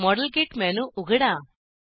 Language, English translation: Marathi, Open the modelkit menu